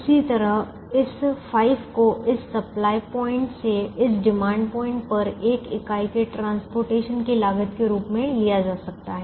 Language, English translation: Hindi, similarly, this, this five can be taken as the cost of transporting one unit from this supply point to this demand point